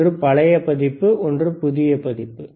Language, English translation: Tamil, right oOne was old version, one was new version